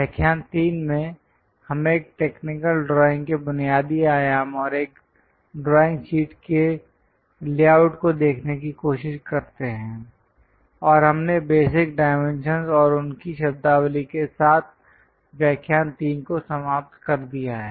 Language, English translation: Hindi, In lecture 3, we try to look at basic dimensions of a technical drawing and the layout of a drawing sheet and we have ended the lecture 3 with basic dimensions and their terminology